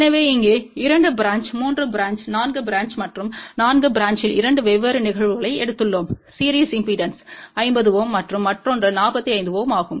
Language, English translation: Tamil, So, here 2 branch 3 branch 4 branch and in 4 branch we have taken 2 different cases 1 was series impedance of 50 ohm and another one was 45 ohm